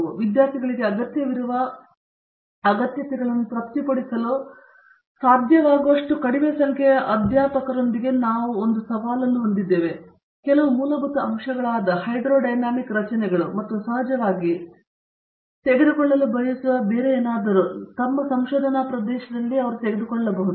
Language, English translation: Kannada, We do have a challenge because with a relatively small number of faculty being able to satisfy the requirements that these students need to go through, we do find that unless they have gone in a little in depth into some of the fundamental aspects such as, hydrodynamic structures and of course, whatever else they want to take it, take up in their research areas